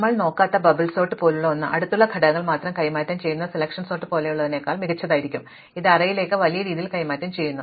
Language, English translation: Malayalam, So, something like bubble sort which we did not look at, which only exchanges adjacent elements would be better than something like selection sort which exchanges across large intervals